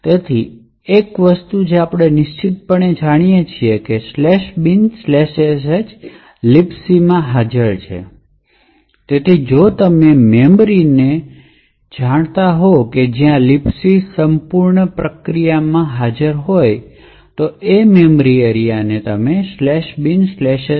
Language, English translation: Gujarati, So, one thing what we know for sure is that /bin/sh is present in the libc, so if you know the memory range where a libc is present in the entire process space, we could search that memory area and identify the address of /bin/sh